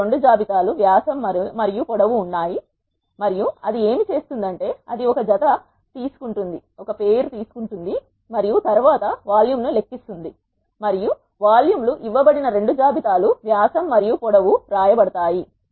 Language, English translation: Telugu, We have two lists dia and length, and what it does is it will take a pair and then calculate the volume and it will written the volumes were two lists of dia and length that are given